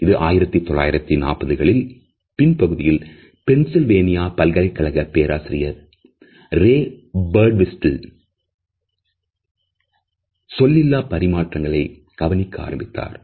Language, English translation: Tamil, We find that it was in the 1940s rather late 1940s that at the university of Pennsylvania professor Ray Birdwhistell is started looking at the nonverbal aspects of communication